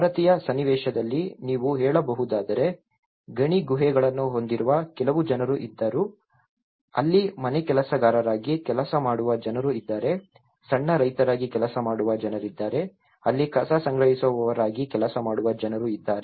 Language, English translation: Kannada, In Indian context, if you can say there was some people who place with mine caves, there people who was working as a housemaids, there are people who are working as a small farmers, there people who are working as a garbage collectors